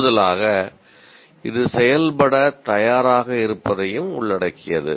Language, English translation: Tamil, And in addition, it also involves readiness to act